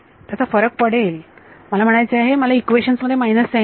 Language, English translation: Marathi, It will I mean I will get a minus sign in the system of equations